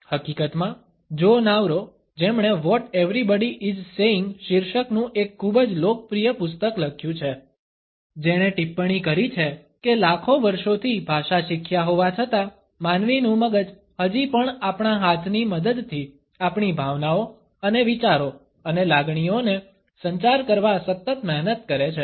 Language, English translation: Gujarati, In fact, Joe Navarro who has authored a very popular book entitled, What Everybody is Saying has commented that despite having learnt language, over millions of years, human brain is still hardwired to actually, communicating our emotions and thoughts and sentiments with the help of our hands